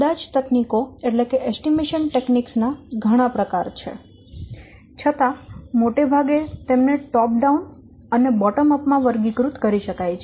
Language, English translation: Gujarati, Though there are many techniques of estimation they can be broadly classified into top down and bottom up